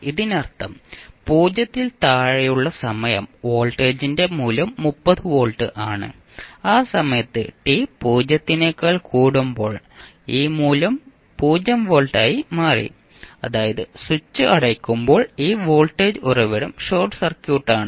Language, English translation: Malayalam, It means that the time t less than 0 the value of voltage is 30 volt, at time t greater than 0 these value became 0 volt, means when the switch is closed this voltage source is short circuit